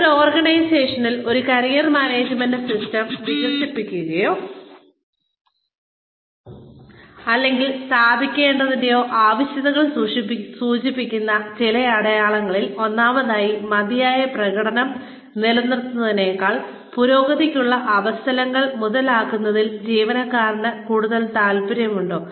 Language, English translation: Malayalam, Some signs in an organization, that indicate, the need for the development, or establishment of a Career Management System, within an organization are, number one, is the employee more interested in, capitalizing on opportunities for advancement, than in maintaining adequate performance